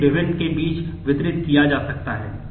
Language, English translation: Hindi, It may be distributed amongst different